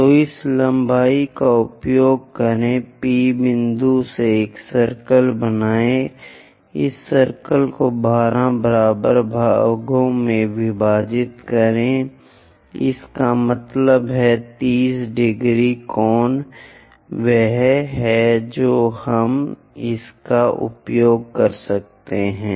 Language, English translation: Hindi, So, use this length ok draw a circle from P point divide this circle into 12 equal parts; that means, 30 degrees angle is the one what we can use it